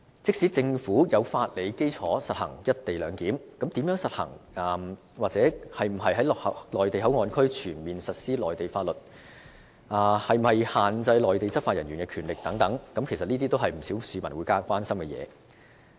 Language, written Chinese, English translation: Cantonese, 即使政府有法理基礎實行"一地兩檢"，但如何實行、是否要在內地口岸區全面實施內地法律，以及是否需要限制內地執法人員的權力等，其實也是不少市民所關心的事情。, Even though the Government has legal basis to implement the co - location arrangement how is the arrangement going to be implemented? . Is it necessary for Mainland laws to be fully enforced in the Mainland Port Area and is it necessary to restrict the powers of the law enforcement officers from the Mainland? . These are the matters of concern of not a few members of the public